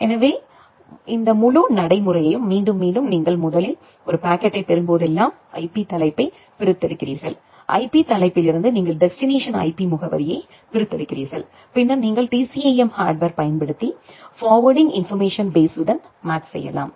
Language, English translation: Tamil, So, again repeating this entire procedure that whenever you are receiving a packet first you extract the IP header, from the IP header you extract the destination IP address then you use the TCAM hardware to make a match with the forwarding information base